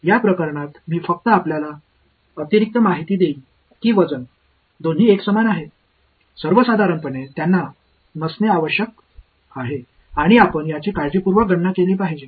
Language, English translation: Marathi, In this case I will just give you the extra information that the weights are both equal to 1, in general they need not be and you have to calculate it carefully